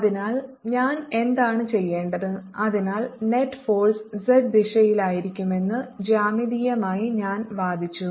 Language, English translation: Malayalam, so, geometrically, i have argued that the net force will be in the z direction